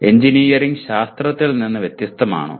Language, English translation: Malayalam, Is engineering different from science